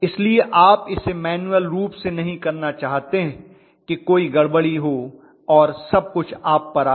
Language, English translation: Hindi, So you do not want to do it manually and commit a blunder and have the whole thing blown over on the top of you